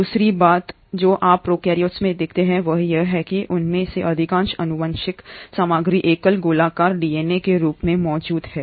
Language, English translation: Hindi, The other thing that you observe in prokaryotes is that for most of them genetic material exists as a single circular DNA